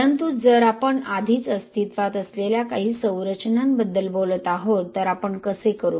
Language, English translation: Marathi, But if we are already talking about some structures which are already existing, how do we do